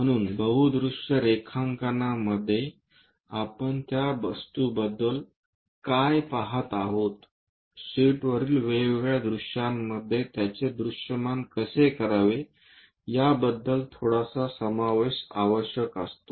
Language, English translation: Marathi, So, multi view drawings always requires slight inclusion about the object what we are looking, how to represent that into different views on the sheet